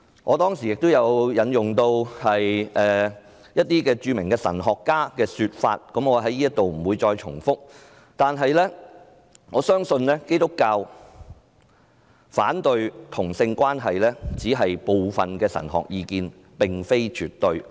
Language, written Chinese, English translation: Cantonese, 我當時也引用了一些著名神學家的說法，我不在這裏重複，但我相信基督教反對同性關係只是部分神學家的意見，並非絕對。, I will not repeat the words of some famous theologians I cited at that time . But I believe only some not all theologians consider that Christianity is against homosexuality